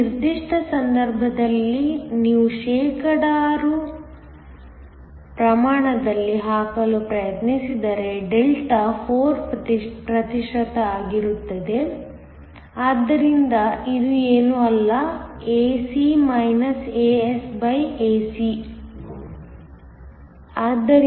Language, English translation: Kannada, In this particular case, the mismatch delta if you try to put it in percentage is 4 percent so it is nothing but, ae asae